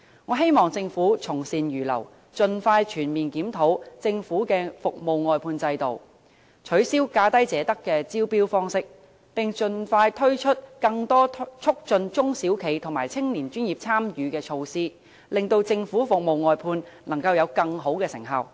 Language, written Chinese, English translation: Cantonese, 我希望政府從善如流，盡快全面檢討政府的服務外判制度，取消"價低者得"的招標方式，並盡快推出更多促進中小企及年青專業人士參與的措施，令政府服務外判能夠有更好的成效。, I hope that the Government will readily accept good advice and expeditiously review the Governments service outsourcing system abolish the approach of lowest bid wins and expeditiously introduce more measures to facilitate participation by SMEs and young professionals so that service outsourcing by the Government can achieve better results